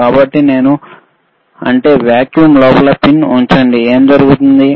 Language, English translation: Telugu, So, if I put a pin inside the vacuum, what will happen